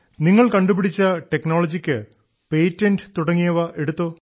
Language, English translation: Malayalam, Now this technology which you have developed, have you got its patent registered